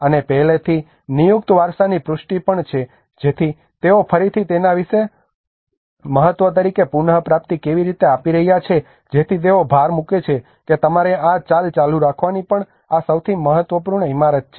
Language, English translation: Gujarati, And also the reaffirmation of already designated heritage so how they are giving a reaffirmation as a special importance on it again so that they emphasise that this is the most important building you need to keep that on the move as well